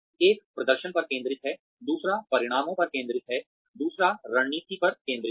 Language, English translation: Hindi, One focuses on the performance, the other focuses on outcomes, the other focuses on strategy